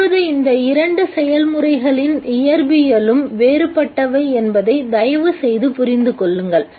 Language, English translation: Tamil, Now please understand that the physics of these two processes are different